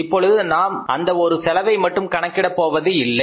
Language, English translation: Tamil, Now we don't calculate only one cost, full cost